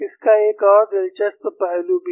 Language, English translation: Hindi, There is also another interesting aspect